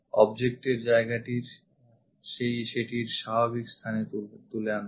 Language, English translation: Bengali, Pick the object place it in the natural position